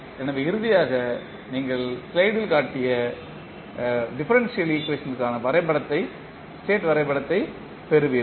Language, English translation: Tamil, So, finally you get the state diagram for the differential equation which we just shown in the slide